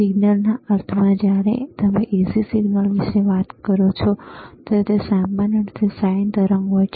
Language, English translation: Gujarati, Signals in the sense, that when you talk about AC signal, it is generally sine wave,